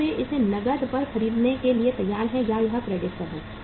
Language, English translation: Hindi, Are they ready to buy it on cash or it is on the credit